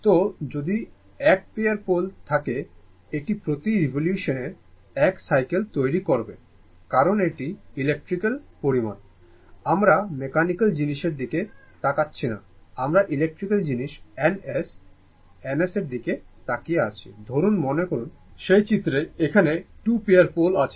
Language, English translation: Bengali, So, if you have 1 pair of poles, that it will make 1 cycle per revolution because it is electrical quantity it is, you are not looking at the mechanical thing, we are looking at the electrical thing N S, N S